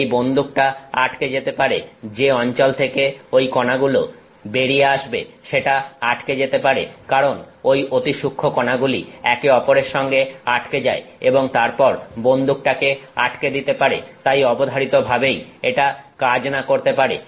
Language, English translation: Bengali, The gun get can get clogged, the location where those particles are coming can get clogged if because the very fine particles which stick to each other and then just clog the gun; so, it may not necessarily work